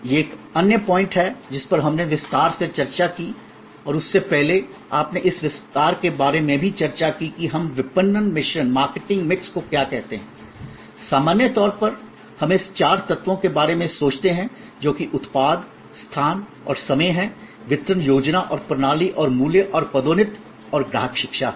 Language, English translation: Hindi, This is the other point that we discussed in detail and before that, you also discussed about this extension of what we call the marketing mix, that in normally we think of this four elements, which is the product, the place and time which is the distributions scheme and system and the price and the promotion and customer education